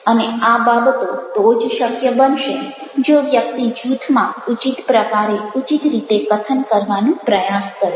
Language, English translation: Gujarati, and these things will be possible only if a person in a group is trying to speak in a proper manner, in a proper way